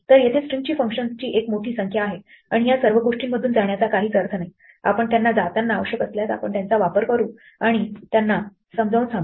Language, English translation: Marathi, So, there is a huge number of string functions and there is no point going through all of them in this thing, we will if we need them as we go along we will use them and explain them